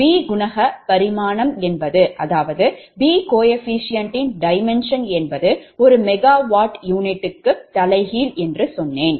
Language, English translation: Tamil, i told you that its a b coefficient dimension is megawatt inverse, as it is per unit